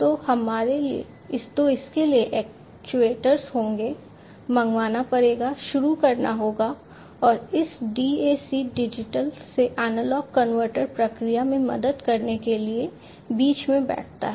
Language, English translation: Hindi, So, for that the actuators will be, you know, will have to be invoked, will have to be started and this DAC Digital to Analog Converter sits in between to help in the process